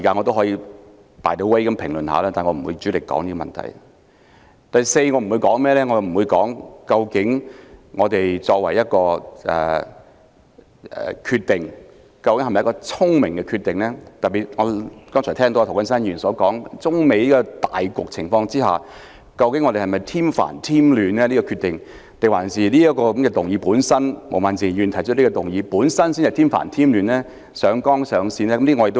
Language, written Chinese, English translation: Cantonese, 第四，我不會談論究竟特區政府作出有關決定是否明智？特別是我剛才聽到涂謹申議員說，在中美貿易糾紛的大局下，究竟這個決定會否添煩添亂？還是毛孟靜議員提出的這項議案才添煩添亂、上綱上線？, Fourth I will not discuss whether it was sensible for the SAR Government to make the decision in question in particular as pointed out by Mr James TO just now whether the Governments decision would add fuel to the fire under the current climate when China and the United States are having trade disputes; or whether the motion moved by Ms Claudia MO would add fuel to the fire and blow the incident out of proportion